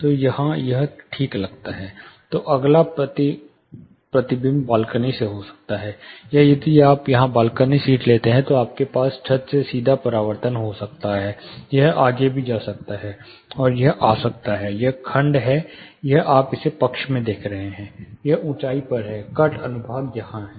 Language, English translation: Hindi, So, here it seems for instance, then the next reflection might be from the balcony, or if you take a balcony seat here, you may have one reflection direct from the ceiling, it may also go further, and it may come this is section, this is you are seeing it in the side, this is on the elevation, the cut section is here